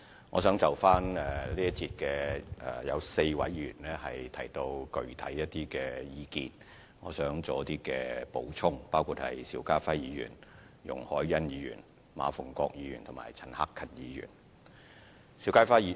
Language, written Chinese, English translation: Cantonese, 有4位議員在這一節辯論提到一些具體意見，我想稍作補充，包括邵家臻議員、容海恩議員、馬逢國議員及陳克勤議員。, I would like to make some additional points in response to some specific views expressed by four Honourable Members including Mr SHIU Ka - chun Ms YUNG Hoi - yan Mr MA Fung - kwok and Mr CHAN Hak - kan in this session